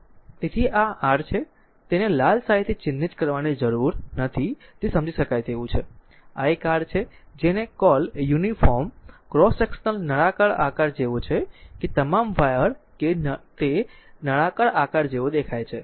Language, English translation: Gujarati, So, this is your I need not mark it by red ink it is understandable, this is a your what you call uniform cross section is like a cylindrical shape that all wire it looks like a cylindrical shape